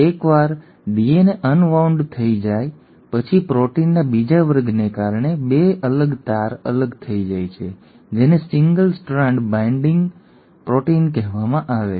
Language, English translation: Gujarati, Once the DNA has been unwound the 2 separated strands remain separated thanks to the second class of proteins which are called as single strand binding proteins